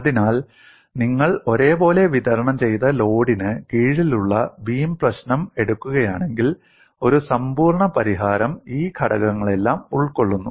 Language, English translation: Malayalam, So, if you take the problem of beam under uniformly distributed load, complete solution encompasses all these components